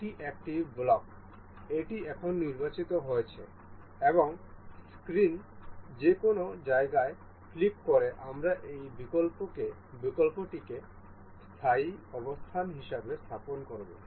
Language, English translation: Bengali, This is a block, this is now selected and clicking anywhere on the screen we will place this block as a permanent position